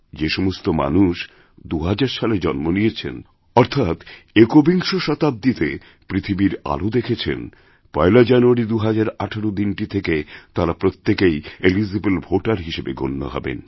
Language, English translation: Bengali, People born in the year 2000 or later; those born in the 21st century will gradually begin to become eligible voters from the 1st of January, 2018